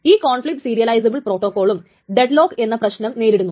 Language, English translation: Malayalam, However, conflict serializable protocols may still suffer from the problem of deadlock